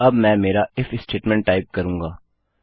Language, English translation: Hindi, Now, I will type my if statement